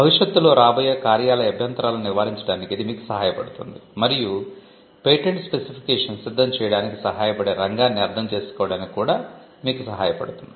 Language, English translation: Telugu, It helps you to avoid potential office objections which can come in the future, and also it helps you to understand the field which helps you to prepare the patent specification